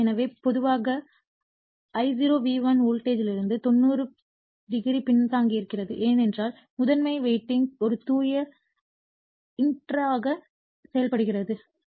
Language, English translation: Tamil, So, generally that your therefore, the I0 is lagging from the voltage V1 / 90 degree, it is because that primary winding is acting as a pure inductor right